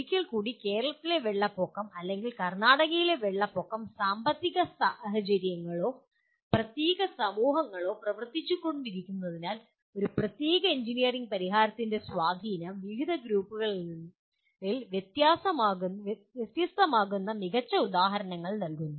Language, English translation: Malayalam, Once again, Kerala floods or floods in Karnataka do provide excellent examples where the impact of a particular engineering solution is different on different groups of persons because of economic conditions or particular societies the way they are operating